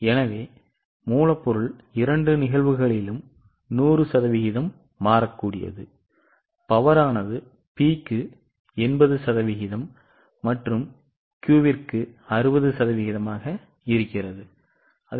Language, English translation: Tamil, So, raw material is 100% variable in both the cases, power is 80% variable for P and 60% variable for Q and so on